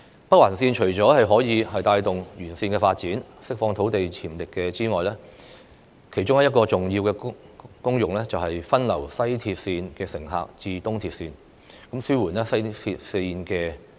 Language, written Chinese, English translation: Cantonese, 北環綫除了可以帶動有關鐵路的沿線發展，釋放土地潛力之外，其中一個重要的功能是把西鐵綫的乘客分流至東鐵綫，紓緩西鐵綫的壓力。, In addition to providing impetus for growth in areas along the railway and releasing the potential of land there one of the important functions of the Northern Link is that it can divert passengers from the West Rail line to the East Rail line thereby alleviating pressure on the former